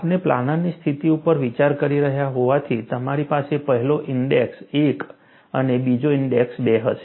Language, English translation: Gujarati, Since we are considering a planar situation, you will have the first index 1 and second index as 2